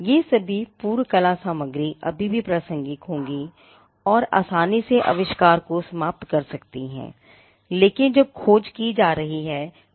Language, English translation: Hindi, All those prior art material will still be relevant can easily knock off the invention, but will not be available when a search is being done